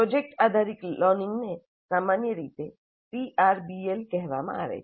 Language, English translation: Gujarati, Project based learning is generally called as PRBL